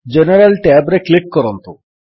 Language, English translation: Odia, Click on the General tab